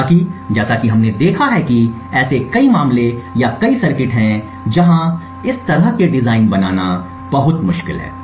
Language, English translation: Hindi, However, as we have seen there are many cases or many circuits where making such designs is incredibly difficult to do